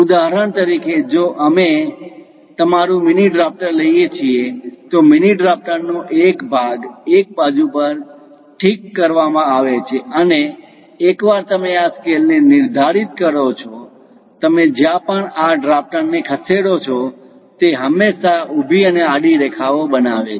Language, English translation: Gujarati, For example, if we are taking your mini drafter, one part of the mini drafter is fixed on one side and once you tighten this scale; wherever you move this mechanical drafter, it always construct vertical and horizontal lines